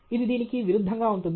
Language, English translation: Telugu, It will be opposite of this